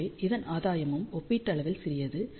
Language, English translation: Tamil, Hence the gain of this is also relatively small